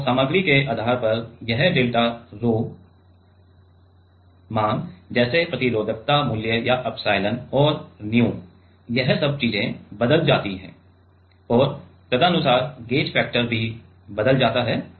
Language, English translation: Hindi, And, depending on the material this delta rho value like the resistivity value or the epsilon and the nu all this things changes and accordingly gauge factor also changes